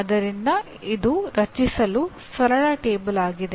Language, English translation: Kannada, So it is a simple table, create